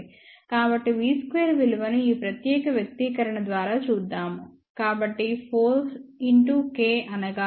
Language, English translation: Telugu, So, what will be the v n square well let us look at this expression, So 4 into k 1